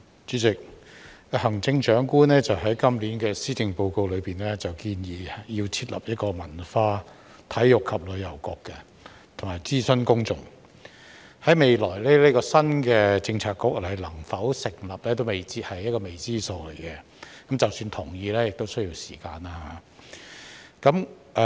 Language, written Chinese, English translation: Cantonese, 主席，行政長官在今年的施政報告中建議要設立文化體育及旅遊局，並諮詢公眾，這個新的政策局在未來能否成立仍然未知，是一個未知數，即使獲得同意亦需要時間。, President in the Policy Address this year the Chief Executive proposed the establishment of the Culture Sports and Tourism Bureau and consulted the public on the proposal but whether this new Policy Bureau can be established in the future is still unknown . Even if it is agreed to establish the Policy Bureau it will take time to do so